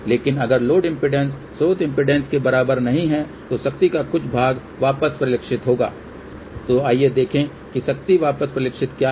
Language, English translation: Hindi, But if load impedance is not equal to source impedance, then part of the power will get reflected back